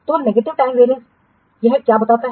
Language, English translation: Hindi, So, negative time variance indicates what